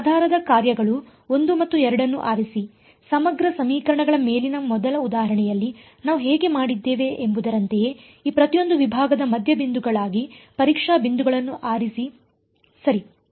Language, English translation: Kannada, Pick these basis functions 1 and 2, pick the testing points to be the midpoints of each of these segments just like how we had done in the first example on integral equations right